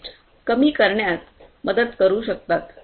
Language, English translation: Marathi, And can help in reducing the production cost and wastage